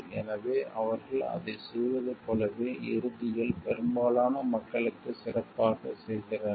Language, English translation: Tamil, So, as they do it for the as they do the best for the most people do in the end